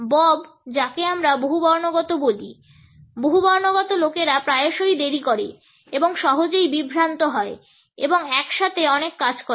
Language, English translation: Bengali, Bob is what we call polyphonic, polyphonic people are frequently late and are easily distracted and do many things at once